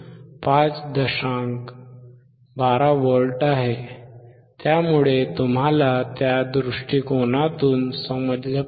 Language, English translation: Marathi, 12V so, you understand from that point of view